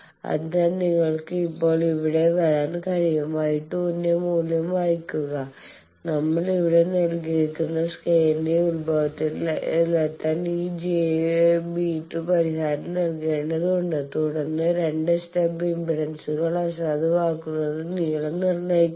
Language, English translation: Malayalam, So, that you can now come here, read the value of y 2 and that this j beta 2 that needs to be compensated to reach the origin of the scale that value we have given here and then unnormalise the 2 stub impedances determine the length of the 2 stubs required